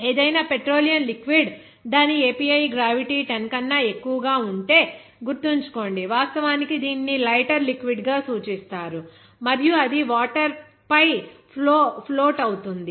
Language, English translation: Telugu, If its API gravity, suppose if any petroleum liquid if its API gravity is greater than 10, remember it, it is actually referred to as a lighter liquid and it will float on the water